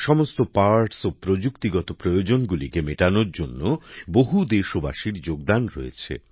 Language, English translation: Bengali, Many countrymen have contributed in ensuring all the parts and meeting technical requirements